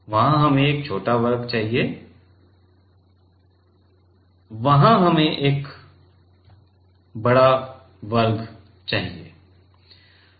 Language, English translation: Hindi, There we need a small square and there we need a large square